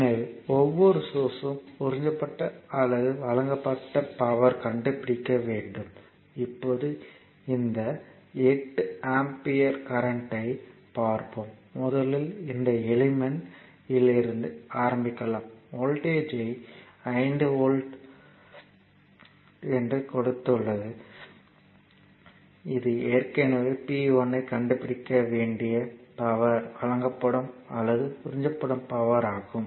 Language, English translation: Tamil, So, we have to find out that power absorbed or supplied by each of the source, now look this 8 ampere current, this is the 8 ampere current, it is first you let us start from this from your this element, which I have voltage across it is 5 volt right